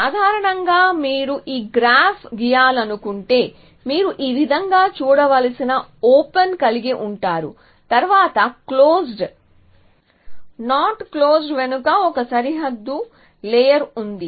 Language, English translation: Telugu, So, in general if you want to draw this graph you would have an open which is to be seen like this followed by a closed not closed a boundary layer which is just behind it